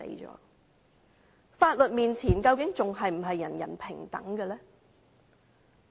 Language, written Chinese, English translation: Cantonese, 在法律面前究竟還是否人人平等？, Is everyone still equal before the law?